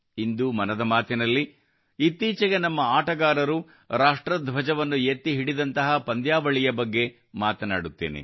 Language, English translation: Kannada, Today in 'Mann Ki Baat', I will talk about a tournament where recently our players have raised the national flag